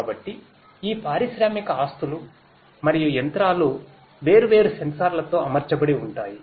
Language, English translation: Telugu, So, these industrial assets and machines these are fitted with different sensors